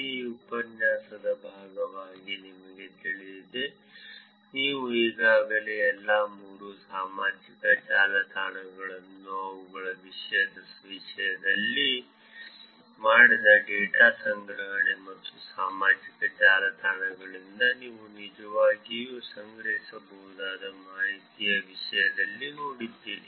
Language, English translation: Kannada, You know as part of this course, you have already seen all three social networks in terms of their content, in terms of the data collection that is done and information that you can actually collect from the social networks